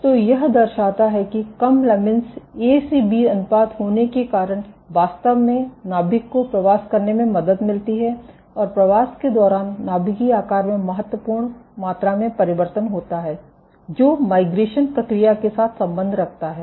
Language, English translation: Hindi, So, this shows that having low lamin A to B ratio actually helps the nuclei to migrate and during the migration there is significant amount of change in nuclear shape, which correlates with the migration process ok